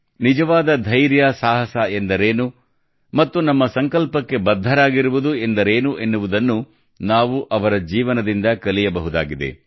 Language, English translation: Kannada, We can learn from his life what true courage is and what it means to stand firm on one's resolve